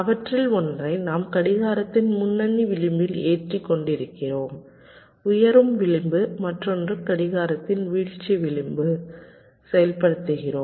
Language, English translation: Tamil, let say one of them we are loading by the leading edge of the clock, raising age, and the other we are activity of by falling edge of the clock